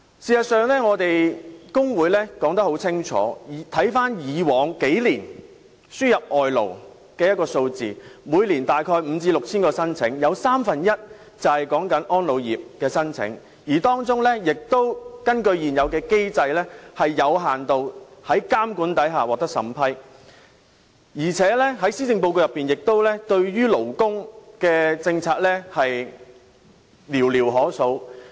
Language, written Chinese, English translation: Cantonese, 事實上，我們工會說得很清楚，回顧過去數年，輸入外勞的數字每年大約有5000至6000宗申請，有三分之一是安老護理業的申請，當中亦有是根據現有機制在監管下獲得有限度審批的申請，而且施政報告對於勞工的政策，亦寥寥可數。, In fact our trade union has made its stance clear . There were about 5 000 to 6 000 applications for importing workers in each of the past few years . One third of the applications were submitted by the elderly care industry and some were approved on a limited scale under the present regulatory system